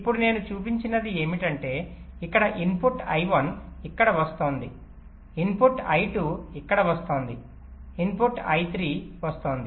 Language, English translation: Telugu, now, what i have not shown is that here, the input i one is coming here, the input i two is coming here, the input i three is coming